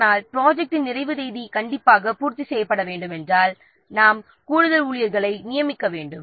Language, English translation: Tamil, But if the projects completion date has to be made strictly, then we have to hire additional staff members